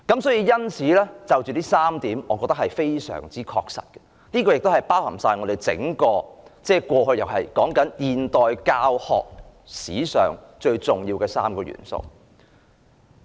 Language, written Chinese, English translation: Cantonese, 上述3點非常確實，包含了整體現代教學史上最重要的3個元素。, These three points are very specific representing the most important three elements in the entire modern history of teaching